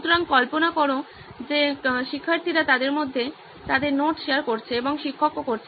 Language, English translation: Bengali, So imagine students have, are sharing their notes within themselves and also teacher